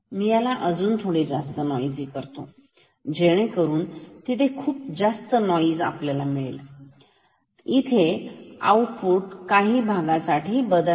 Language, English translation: Marathi, I can make it even more noisy you see we have a lot of noise, but will the output change here at this region